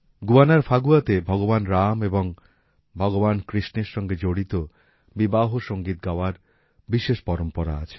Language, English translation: Bengali, In Phagwa of Guyana there is a special tradition of singing wedding songs associated with Bhagwan Rama and Bhagwan Krishna